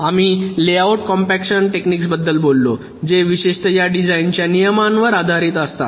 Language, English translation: Marathi, we talked about layout compaction techniques which are again based on this design rules typically